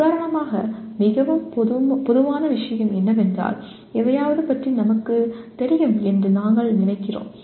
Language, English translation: Tamil, For example most common thing is many times we think we know about something